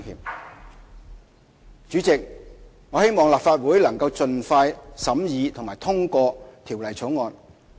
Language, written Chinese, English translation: Cantonese, 代理主席，我希望立法會能盡快審議及通過《條例草案》。, Deputy President I hope that the Legislative Council can expeditiously scrutinize and pass the Bill